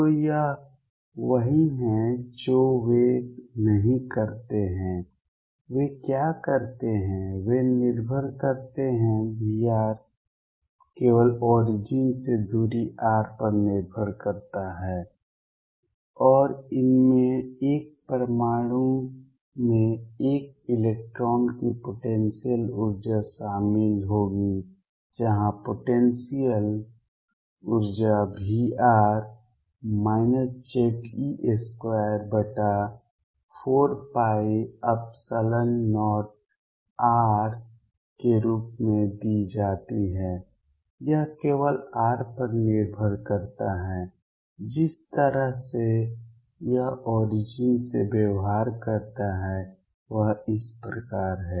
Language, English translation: Hindi, So, this is what they do not do what they do is they depend V r depends only on the distance r from the origin and these will include potential energy of an electron in an atom where the potential energy V r is given as minus Ze square over 4 pi epsilon 0 r it depends only on r and the way it behaves from the origin is like this